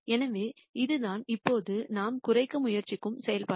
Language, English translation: Tamil, So, this is the function now that we are trying to minimize